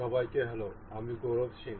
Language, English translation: Bengali, Hello everyone, I am Gaurav Singh